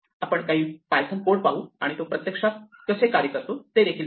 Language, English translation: Marathi, Let us look at some python code and see how this actually works